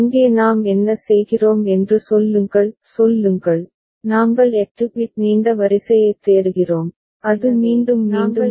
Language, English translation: Tamil, And here as a counter what we do – say, we are looking for a 8 bit long sequence which gets repeated, right